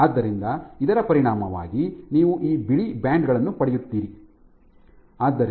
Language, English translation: Kannada, So, as a consequence you will get these white bands